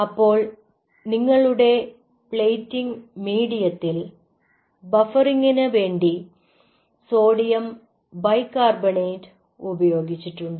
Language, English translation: Malayalam, and your plating medium has sodium bicarbonate, which is used for the buffering